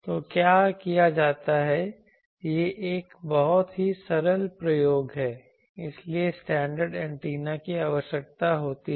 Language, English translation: Hindi, So, what is done it is a very simple experiment so standard antenna is required